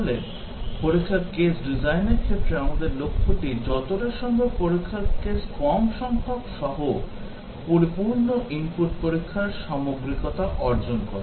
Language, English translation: Bengali, So, our goal in test case design is to achieve the thoroughness of exhaustive input testing, with as little number of test cases as possible